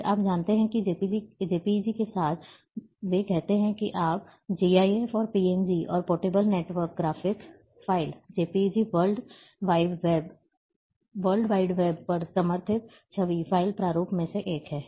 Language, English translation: Hindi, Then, you know there are, together with JPEG, and they say your GIF and PNG, and that the portable network graphics file, the JPEG is one of the image file format supported on the World Wide Web